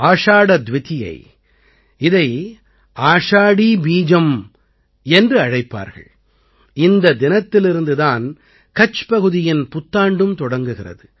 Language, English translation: Tamil, Ashadha Dwitiya, also known as Ashadhi Bij, marks the beginning of the new year of Kutch on this day